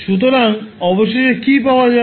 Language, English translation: Bengali, So finally what you will get